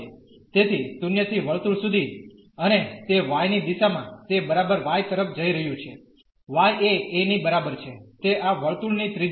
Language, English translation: Gujarati, So, from 0 to the circle and it in the direction of y it is exactly going to y is equal to a that is the radius of this circle